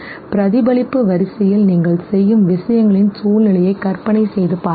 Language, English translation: Tamil, Imagine situations where you do things in a much more reflexive order